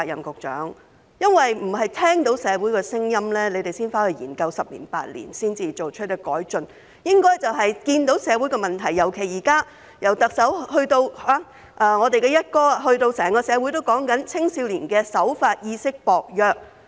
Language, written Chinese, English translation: Cantonese, 局長，局方不應聽到社會有聲音才回去研究十年、八年，然後再作出改進，而是應該在看到社會出現問題，尤其是現在特首、"一哥"以至整個社會都在討論青少年守法意識薄弱......, Secretary the Bureau should not merely act in response to concerns expressed by the community and then make improvement after spending 8 to 10 years to examine the issue . Instead it should spot the problems in society particularly when the Chief Executive and the Commissioner of Police as well as the community at large are discussing the weakening of law - abiding awareness among young people We are facing a serious problem